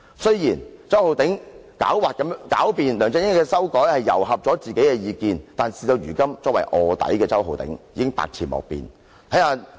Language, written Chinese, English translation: Cantonese, 雖然周浩鼎議員狡辯指梁振英的修改糅合了自己的意見，但事到如今，作為臥底的周浩鼎議員已是百詞莫辯。, Although Mr Holden CHOW argued speciously that his views have been incorporated into LEUNG Chun - yings amendments he as an undercover cannot explain away his deed